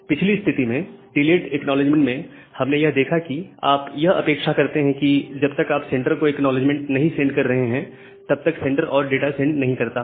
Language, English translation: Hindi, So, in the earlier case what we have seen that well with the delayed acknowledgement, you are expecting that unless you are sending an acknowledgement to the sender, the sender will not send any further data